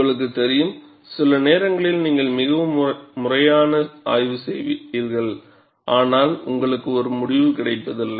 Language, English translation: Tamil, You know, sometimes you do a very systematic study, yet you do not get a result